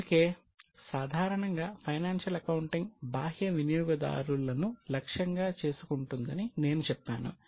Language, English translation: Telugu, That is why I have said that financial accounting is targeted to external users